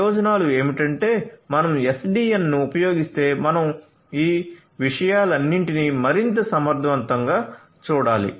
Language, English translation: Telugu, So, the advantages would be that if you use SDN you are going to take care of all of these things in a much more efficient manner